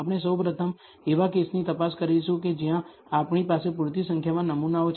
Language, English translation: Gujarati, We will first look at the case of where we have sufficient number of samples